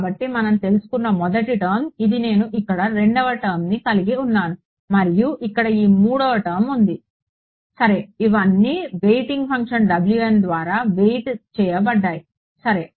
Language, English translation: Telugu, So, first term we have dealt with now I have the second term over here and this third term over here ok, all of it weighted by the weighing function W m ok